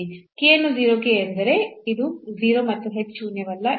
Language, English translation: Kannada, So, k to 0 means this is 0 and h is non zero